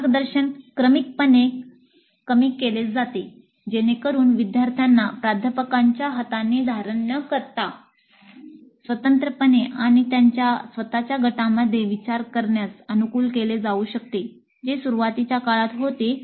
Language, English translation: Marathi, And guidance is reduced progressively so that students get adapted to thinking independently and in groups of their own without the kind of handholding by the faculty which happens in the initial stages